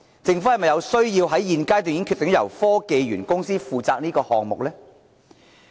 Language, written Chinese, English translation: Cantonese, 政府是否有需要在現階段便決定由科技園公司負責此項目呢？, Does the Government have to confirm assigning HKSTPC for managing the project right at this stage?